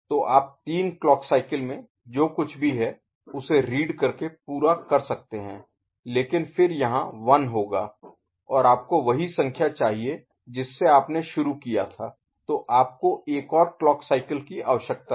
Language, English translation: Hindi, So, you can complete the reading what is there in three clock cycle, but then will be having 1 over here and you want to get back the number in its original form then you need one more clock cycle